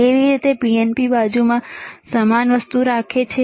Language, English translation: Gujarati, How about he keeps the same thing in the PNP side